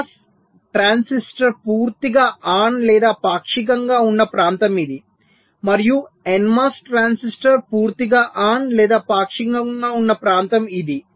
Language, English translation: Telugu, there is a region where the p mos transistor is either fully on or partially on and there is a region where the n mos transistor is either fully on or partially on